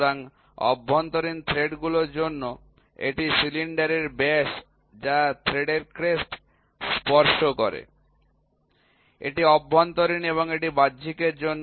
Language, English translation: Bengali, So, for internal threads, it is the diameter of the cylinder that touches the crest of the crest of the thread this is for internal and that is for external